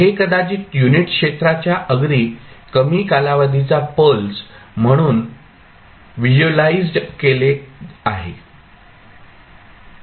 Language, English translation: Marathi, It maybe visualized as a very short duration pulse of unit area